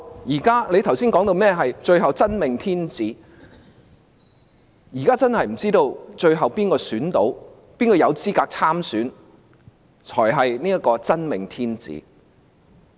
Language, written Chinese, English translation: Cantonese, 他剛才提到最後會出現"真命天子"，現在我們真的不知道最後誰有資格參選和當選，而那人才是"真命天子"。, Just now he said that the chosen one would eventually emerge . Now we really cannot tell who will eventually be qualified to run and win in an election and that person truly is the chosen one